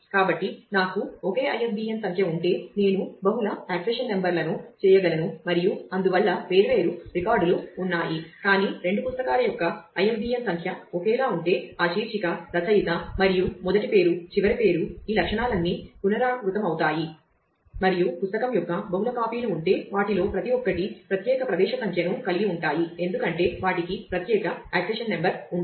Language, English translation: Telugu, So, if I have the same ISBN number I can multiple accession numbers and therefore, there are different records, but if that accession number of two books are I am sorry the ISBN number of two books are same then all of that title, author and first name last name all this attributes will be repeated and if there are multiple copies of the book then each one of them will have a separate entry because they have a separate accession number